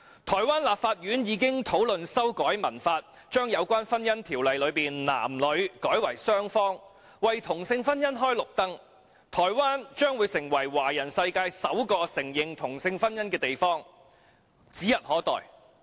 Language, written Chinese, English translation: Cantonese, 台灣立法院已討論修改《民法》，把有關婚姻條文中的"男女"改為"雙方"，為同性婚姻開綠燈，台灣成為華人世界首個承認同性婚姻的地方，指日可待。, The Legislative Yuan of Taiwan has discussed making amendments to the Civil Code to change the male and the female parties to both parties in the provisions relating to marriage thus giving the green light to same sex marriage . Taiwan becoming the first place to recognize same sex marriage in the Chinese world is just around the corner